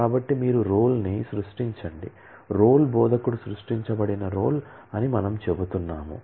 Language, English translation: Telugu, So, you create role we are saying that role is the role instructor is created